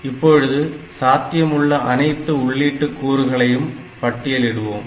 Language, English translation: Tamil, Now, we list down all possible combinations of these input values